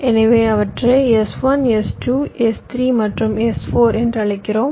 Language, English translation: Tamil, so i call them s one, s two, s three and s four